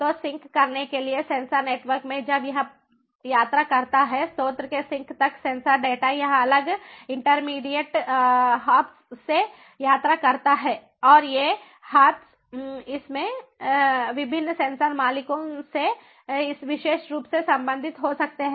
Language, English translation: Hindi, when it travels in sensor networks, in sensor networks, the sensor data from the source to the sink it travels via different intermediate hops, via different intermediate hops and these hops could be belonging to different sensor owners in this particular manner